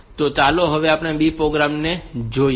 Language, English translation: Gujarati, So, if we look into another program